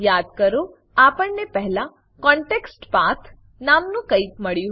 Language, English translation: Gujarati, Recall that we had come across something called ContextPath earlier